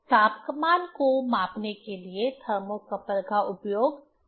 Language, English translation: Hindi, How thermocouple is used for measuring the temperature